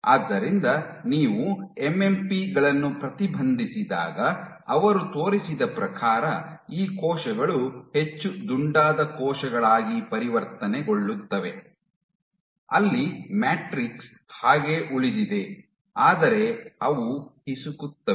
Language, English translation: Kannada, So, when you inhibit MMPs; inhibit MMPs, what he showed was these cells transition into more rounded cells where your matrix remains intact, but they squeeze